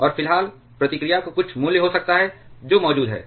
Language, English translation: Hindi, And at the moment there may be some value of reactivity that is present